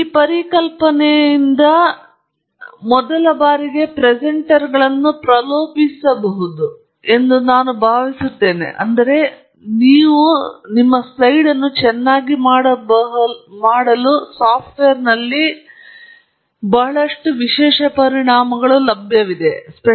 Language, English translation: Kannada, I think first time presenters may be tempted by this idea that there are lot of special effects available in software which you can throw into your slide and so on